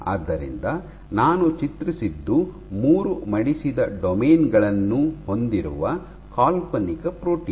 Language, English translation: Kannada, So, what I have drawn is the imaginary protein which has three folded domains